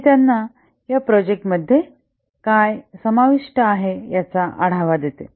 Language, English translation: Marathi, This gives them an overview of what is involved in the project